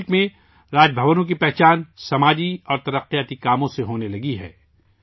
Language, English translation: Urdu, Now Raj Bhavans in the country are being identified with social and development work